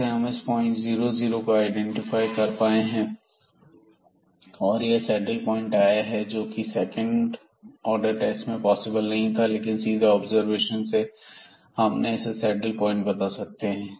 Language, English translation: Hindi, So, again we were able to identify this point here the 0 0 point and this comes to be the saddle point and which was not possible with the second order test, but the direct observation we can find that this is a saddle point